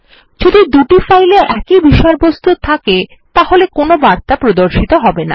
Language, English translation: Bengali, If the two files have exactly same content then no message would be shown